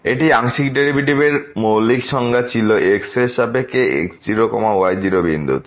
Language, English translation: Bengali, So, the partial derivative with respect to at 0 0 is 0